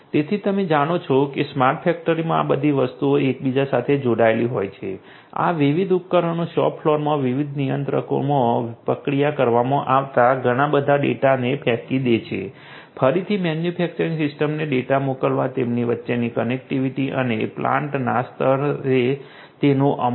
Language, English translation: Gujarati, So, you know in a smart factory all of these things are going to be interconnected, these different devices throwing in lot of data being processed in the shop floor different controllers connectivity between them, again sending the data to the manufacturing system and their execution at the plant level